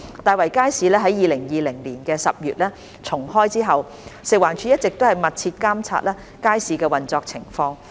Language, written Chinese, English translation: Cantonese, 大圍街市於2020年10月重開後，食環署一直密切監察街市的運作情況。, FEHD has been monitoring the operation of the Market closely since its re - opening in October 2020